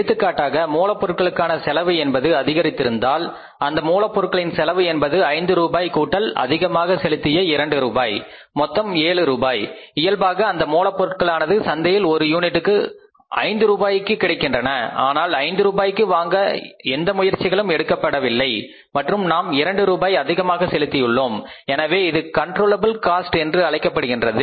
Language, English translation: Tamil, Material cost is that is 5 plus 2 we have paid extra 7 and normally the material was available in the market for 5 rupees per unit but the efforts were not made to buy this and we have paid 2 rupees extra so this becomes the controllable cost